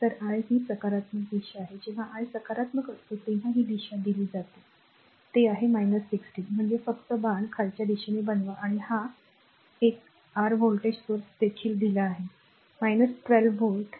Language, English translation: Marathi, So, this is the positive dire I is when I is positive this is the direction is given, it is minus 16 means you just make the arrow downwards right and this one your voltage also voltage source also it is given minus 12 volt